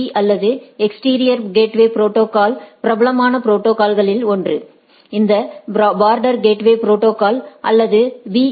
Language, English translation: Tamil, So, one of the popular or the protocol for this EGP or exterior gateway protocols is border gateway protocol or BGP